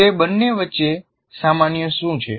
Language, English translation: Gujarati, What is it that is common between the two